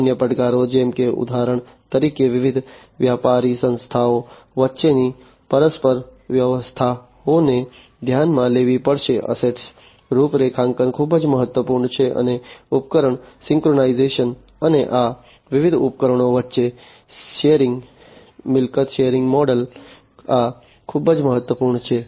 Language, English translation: Gujarati, The other challenges are like for example, the mutual arrangements among the different business entities will have to be taken into consideration, asset configuration is very important, and the device synchronization, and the synergies between these different devices, these are very important in the asset sharing model